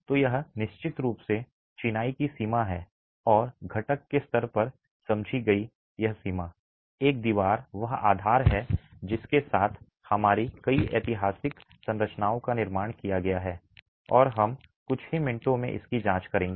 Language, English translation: Hindi, So, this is definitely the limitation of masonry and this limitation understood at the component level, a single wall, is the basis with which many of our historical structures have been constructed and we will examine that in a few minutes